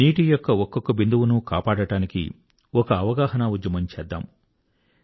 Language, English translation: Telugu, Let us start an awareness campaign to save even a single drop of water